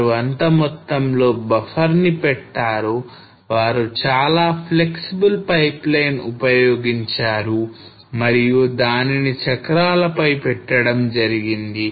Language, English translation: Telugu, So they kept that much of buffer that whenever they came up with a very flexible pipeline and they put this on the wheels okay